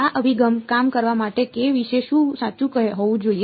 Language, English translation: Gujarati, For this approach to work what must be true about k